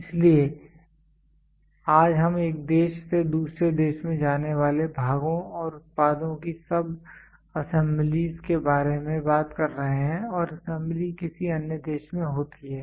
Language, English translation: Hindi, So, today we are talking about moving parts and products sub assemblies from one country to another country and assembly happens at some other country